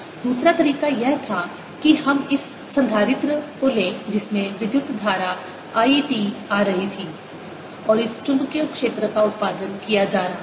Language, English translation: Hindi, the other way was we took this capacitor in which this current i t was coming in and there was this magnetic field being produced